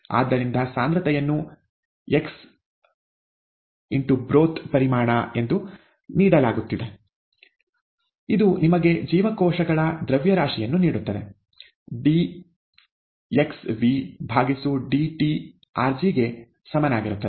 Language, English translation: Kannada, So, concentration, given as x, x into the broth volume, this gives you the mass of cells, ddt of xV equals rg